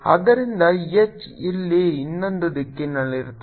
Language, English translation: Kannada, so h will be in the other direction here